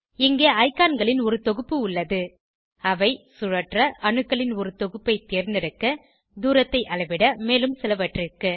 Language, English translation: Tamil, Here is a set of icons to rotate, select a set of atoms, measure distances, etc